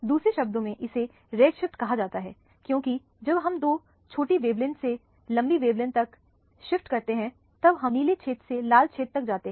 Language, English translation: Hindi, In other words this is known as red shift because we are going from the blue region to the red region when you shift from two smaller wavelength to longer wavelength